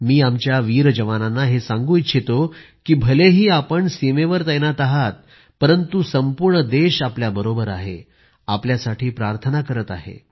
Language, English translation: Marathi, I would also like to assure our brave soldiers that despite they being away at the borders, the entire country is with them, wishing well for them